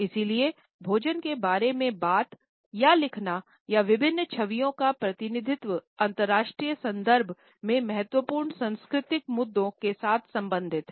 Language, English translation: Hindi, And therefore, talking about food or writing about food or representing various images related with food raise important cultural issues in international contexts